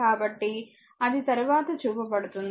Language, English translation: Telugu, So, that will show you later